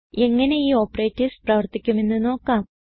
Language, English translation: Malayalam, Lets see how these two operators work